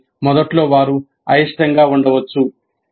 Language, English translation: Telugu, So initially they may be reluctant